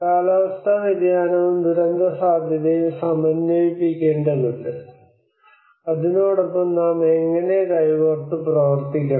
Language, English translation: Malayalam, And there is a need that we need to integrate that climate change and the disaster risk and how we have to work in hand in hand to work with it